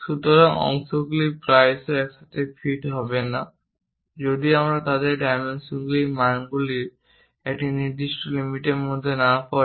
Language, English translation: Bengali, So, parts will often not fit together if their dimensions do not fall within a certain range of values